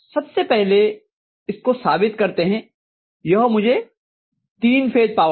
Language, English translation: Hindi, Let me first of all try to justify that this will give me three phase power